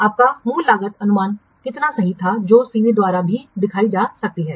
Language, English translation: Hindi, How accurate was your original cost estimate that can also be indicated by this CV